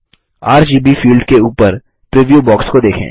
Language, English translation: Hindi, Look at the preview box above the RGB field